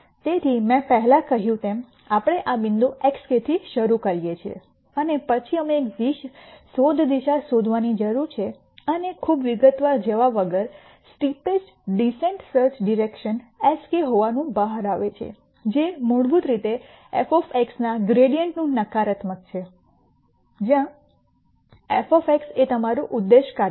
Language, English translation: Gujarati, So, as I said before, we start at this point x k and then we need to find a search direction and without going into too much detail the steepest descent will turn out to be a search direction s k which is basically the negative of gradient of f of x, where f of x is your objective function